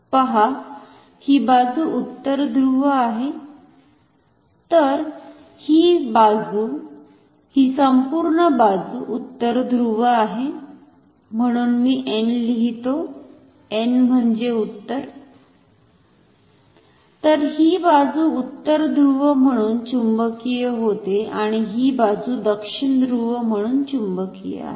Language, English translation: Marathi, So, this side this entire side is North Pole, so, I am writing N, N for north, so this side is magnetized as North Pole and this side say is magnetized as South Pole